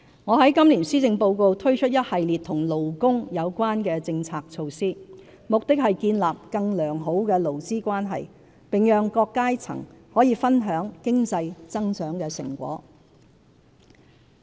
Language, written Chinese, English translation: Cantonese, 我在今年施政報告推出一系列與勞工有關的政策措施，目的是建立更良好的勞資關係，並讓各階層可分享經濟增長的成果。, I present in this Policy Address a series of labour - related policy initiatives with a view to fostering good labour relations and sharing the fruits of economic growth with all walks of life